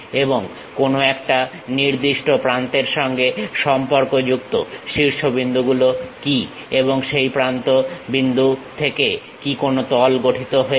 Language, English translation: Bengali, And what are the vertices associated with particular edges and are there any faces forming from these edges